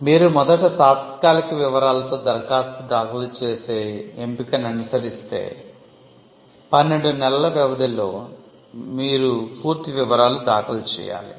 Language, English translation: Telugu, If you follow the option of filing a provisional first, then within a period of 12 months you have to follow it up with by filing a complete specification